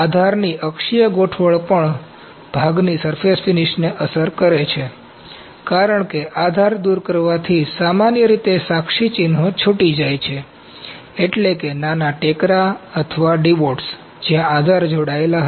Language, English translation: Gujarati, Orientation of supports also effect the surface finish of the part, as support removal typically leaves the witness marks that is, small bumps or divots where the supports were attached